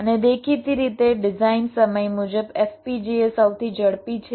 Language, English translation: Gujarati, and obviously design time wise, fpgas is the fastest